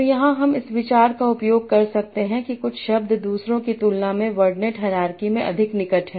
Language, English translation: Hindi, So here can I use the idea that some words are more near in the wardenid hierarchy than others